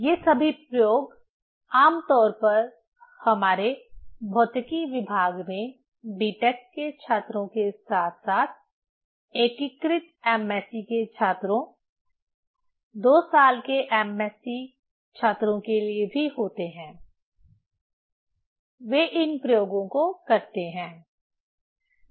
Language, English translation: Hindi, All these experiments generally in our department of physics, B Tech students as well as integrated MSc students, also 2 year MSc students, they perform these experiments